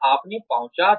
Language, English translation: Hindi, You delivered it